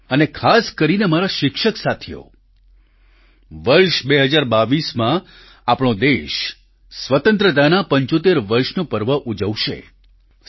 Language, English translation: Gujarati, Friends, especially my teacher friends, our country will celebrate the festival of the 75th year of independence in the year 2022